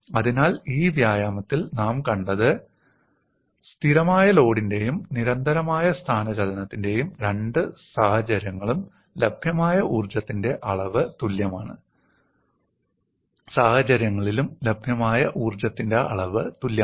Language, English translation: Malayalam, So, what we have seen in this exercise is, the quantum of energy available is same in both the cases of constant load and constant displacement